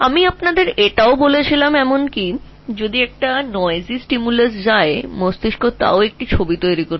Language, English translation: Bengali, I also told you that even if a noisy stimulus goes, the brain will still form an image